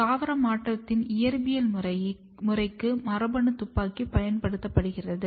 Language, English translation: Tamil, Gene gun is used for the physical method of plant transformation